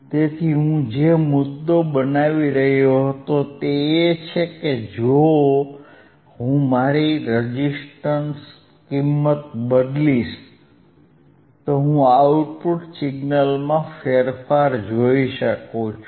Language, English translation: Gujarati, So, you so the point that I was making is if I if I change my resistance value, if my change my resistance value I, I could see the change in the output signal